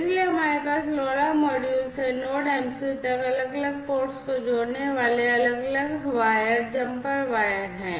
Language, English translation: Hindi, So, we have different wires jumper wires connecting different ports from this LoRa module to the Node MCU